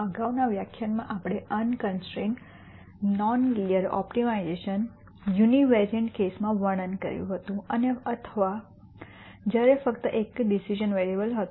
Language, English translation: Gujarati, In the previous lecture we described unconstrained non linear optimization in the univariate case or when there was only one decision variable